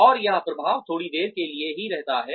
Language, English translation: Hindi, And it stays, the effect stays only for a little while